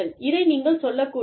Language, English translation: Tamil, You should not say this